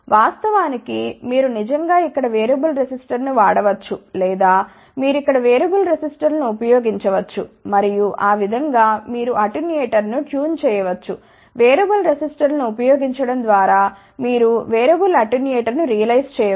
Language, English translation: Telugu, Of course, you can actually speaking use variable resistor over here or you can use variable resistors here, and that way you can actually speaking tune the attenuator, by using variable resistors you can realize a variable attenuator